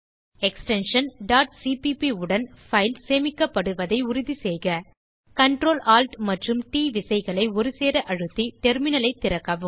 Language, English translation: Tamil, Make sure the file is saved with extension .cpp Open the terminal by pressing Ctrl, Alt and T keys simulataneously